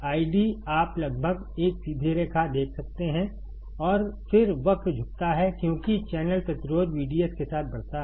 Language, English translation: Hindi, I D you can see almost a straight line and then, the curve bends as the channel resistance increases with V D S